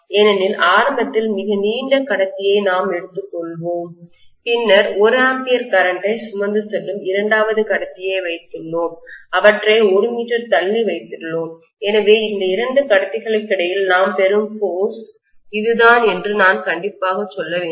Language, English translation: Tamil, Because we have taken very long conductor initially, then we have placed the second conductor which is also carrying 1 ampere of current and we have placed them apart by 1 meter so I should say that this is the force that we are getting between these 2 conductors